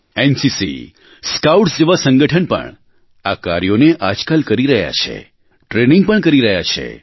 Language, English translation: Gujarati, Organisations like NCC and Scouts are also contributing in this task; they are getting trained too